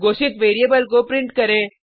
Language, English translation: Hindi, Print the variable declared